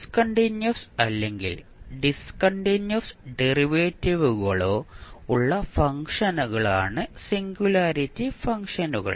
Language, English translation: Malayalam, Singularity functions are those functions that are either discontinuous or have discontinuous derivatives